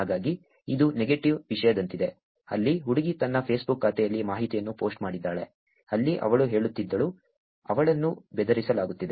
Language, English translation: Kannada, So, this is more like a negative thing, where the girl posted information on her Facebook account, where she was saying about, she is being bullied